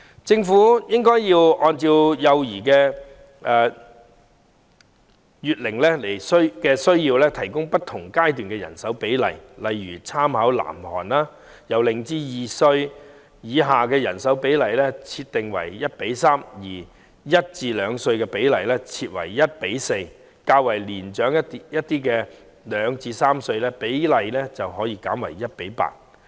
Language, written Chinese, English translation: Cantonese, 政府應按幼兒的月齡需要提供不同階段的人手比例，例如參考南韓的做法，將0至2歲以下幼兒的照顧人手比例設為 1：3，1 至2歲幼兒的照顧人手比例設為 1：4， 而較年長的2至3歲幼兒的照顧人手比例則可設為 1：8。, The Government should set out the staffing ratios for various stages to cater for the needs of children at different months of age such as by drawing reference from the practice of South Korea to set the staffing ratio for care services for children aged 0 to under 2 at 1col3 children aged 1 to 2 at 1col4 and older children aged 2 to 3 at 1col8